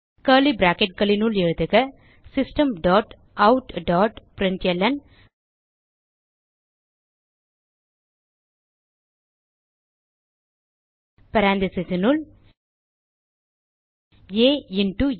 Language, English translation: Tamil, Now within curly brackets type, System dot out dot println within parentheses a into a